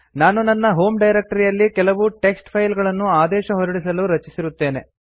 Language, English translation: Kannada, I have already created some text files in my home directory to execute the commands